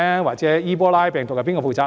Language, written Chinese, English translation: Cantonese, 或者伊波拉病毒，誰要負責呢？, Or in the case of Ebola virus who should be held responsible?